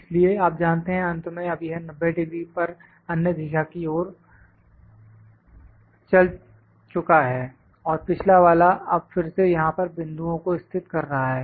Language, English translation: Hindi, So, you know at the end, now it has move to the other direction 90 degree and previous now again locating the points here